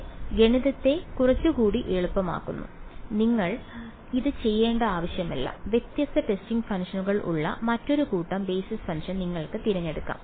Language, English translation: Malayalam, It makes the math somewhat easier its not necessary that you have to do this, you can choose a different set of basis function where different set of testing functions